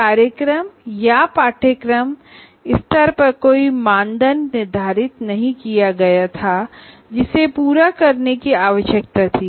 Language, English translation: Hindi, There were no criteria identified at the program or course level that were required to be met